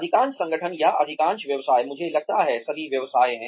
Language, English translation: Hindi, Most organizations, or most businesses, I think, all businesses are